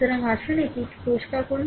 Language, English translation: Bengali, So, let us clear it